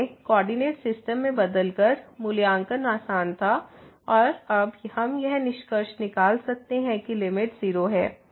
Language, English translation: Hindi, So, by changing to the coordinate system, the evaluation was easy and we could conclude now that the limit is 0